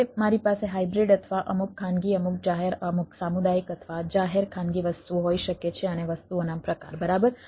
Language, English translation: Gujarati, now i can have a hybrid or the things, some private, some public, some community or public private only, and type of things